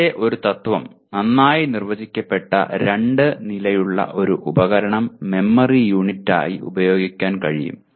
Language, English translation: Malayalam, And still earlier principle a device that has two well defined states can be used as a memory unit